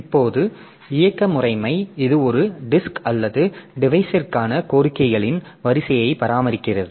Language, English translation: Tamil, Now, operating system, it maintains a queue of requests per disk or device